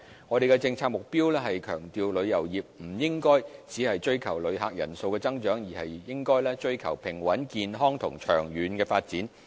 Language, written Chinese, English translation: Cantonese, 我們的政策目標是強調旅遊業不應只追求旅客人數增長，而應追求平穩、健康及長遠的發展。, Our policy objective is that the tourism industry should not merely seek to increase the number of visitors but should pursue stable healthy and long - term development